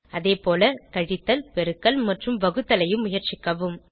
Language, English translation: Tamil, Similarly, try subtraction, multiplication and division